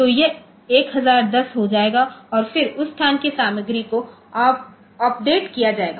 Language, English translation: Hindi, So, it will become 1010 and then that location content will be updated